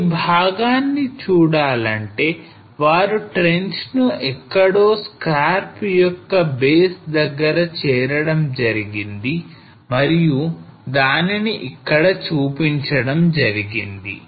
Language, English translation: Telugu, So to see this part here they opened up a trench somewhere at the base of the scarp and this is what has been shown here